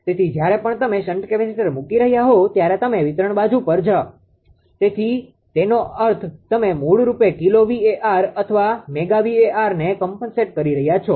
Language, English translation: Gujarati, So, whenever whenever you are putting ah shunt capacitors you are on the distribution side that means, you are compositing basically kilowatt right or megawatt whatsoever